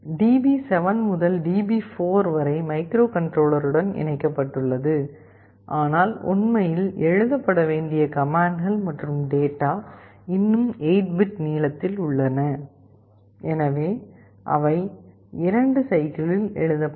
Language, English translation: Tamil, DB7 to DB4 are connected to the microcontroller, but the commands and data that are actually to be written are still 8 bit wide, and so they will be written in 2 cycles